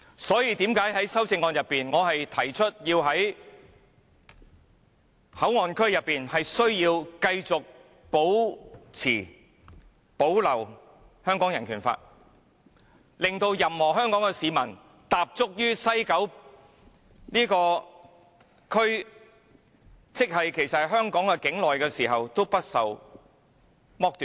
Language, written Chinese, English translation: Cantonese, 正因如此，我在修正案中提出內地口岸區須繼續保留香港人權法案，令任何一名香港市民在踏足西九龍站——即其實是香港境內時，也不會被剝奪權利。, Their treatment was absolutely inconsistent with the rights conferred by the Constitution . For this reason I have proposed in the amendment that the Hong Kong Bill of Rights shall be maintained in MPA so that no Hongkonger will be deprived of his right when he steps into the West Kowloon Station which is in fact within Hong Kong territory